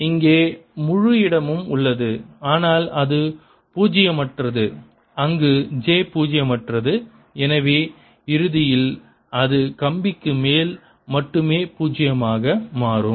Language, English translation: Tamil, this is volume over the entire universe or entire space here, but is non zero only where j is non zero and therefore in the end it becomes non zero only over the wire